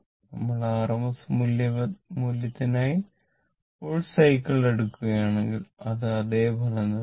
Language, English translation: Malayalam, Even you take the full cycle for r m s value, it will give the same result